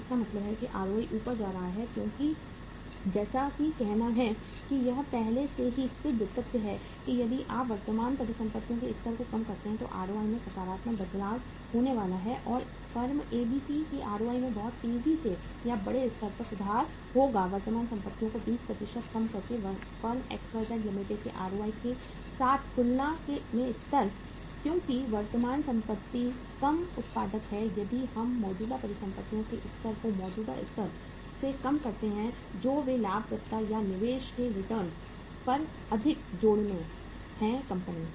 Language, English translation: Hindi, So it means ROI will be going up because as say it is already proven fact that if you reduce the level of current assets there is going to be a positive change in the ROI so ROI of the firm ABC will improve much faster or at a bigger level as compared with the ROI of the firm XYZ Limited by reducing the current assets by 20% because current assets being less productive if we reduce the level of current assets from the existing level they add up more towards the profitability or the return on investment of the firm